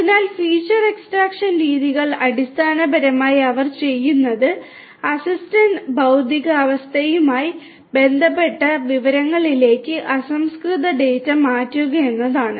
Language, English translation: Malayalam, So, feature extraction methods basically what they do is they convert the raw data into information that relates to the physical state of the asset